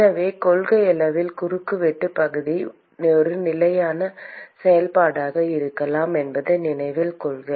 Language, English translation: Tamil, So, note that in principle the cross sectional area could be a function of the position